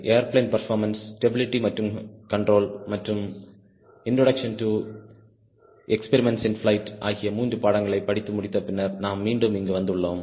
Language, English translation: Tamil, we are back here again after completing three courses, namely airplane performance, stability and control, and introduction to experiments in flight